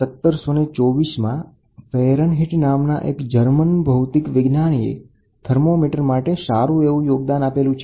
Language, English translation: Gujarati, In 1724 Fahrenheit, a German physicist contributed significantly to the development of a thermometer